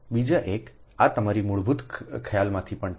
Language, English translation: Gujarati, this is also from your basic concept